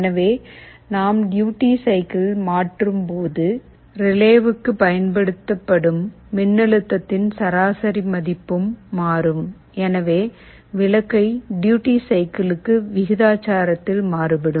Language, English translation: Tamil, So, as we change the duty cycle the average value of voltage that gets applied to the relay and hence the bulb will vary in proportional to the duty cycle